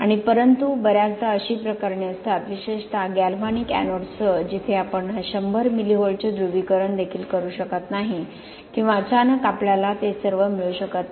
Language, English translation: Marathi, And, but often there are cases with, particularly with galvanic anodes where you cannot even, cannot get a 100 milli Volts polarization or suddenly you cannot get it all the time